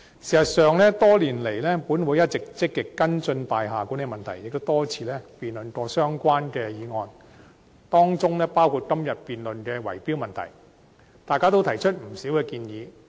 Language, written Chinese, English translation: Cantonese, 事實上，本會多年來一直積極跟進大廈管理問題，也多次辯論相關議案，當中包括今日辯論的圍標問題，大家都提出不少建議。, As I have already discussed the relevant details on various occasions previously I will not repeat them today . In fact this Council has actively followed up the issue of building management and held many related motion debates over all these years including the debate on bid - rigging today and Members have raised many proposals